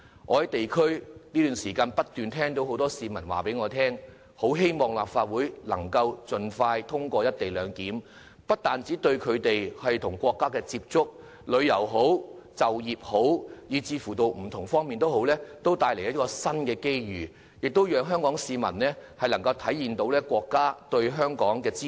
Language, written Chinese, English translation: Cantonese, 我最近在地區工作時不斷有市民告訴我，表示希望立法會可以盡快通過《條例草案》，這不單對他們與國家的接觸、旅遊、就業等不同方面帶來新機遇，亦讓香港市民得益於國家對香港的支持。, When I worked in the district recently people regularly came to me expressing their hope for the expeditious passage of the Bill by the Legislative Council as it would not only bring forth new opportunities in such diverse aspects as their contact with the country travel and employment it would also enable Hong Kong people to benefit from the States support of Hong Kong